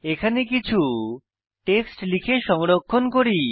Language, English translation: Bengali, Let me type some text here and save it